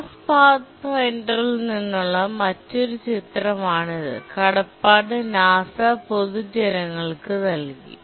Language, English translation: Malayalam, This is another image from the Mars Pathfinder, Cotsie NASA, released to the public